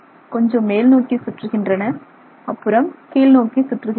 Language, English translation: Tamil, They roll up a little bit and then they roll down